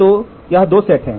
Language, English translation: Hindi, So, these two sets are there